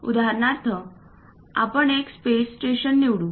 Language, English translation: Marathi, For example, let us pick a space station